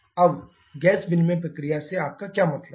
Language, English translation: Hindi, Now, what do you mean by gas exchange process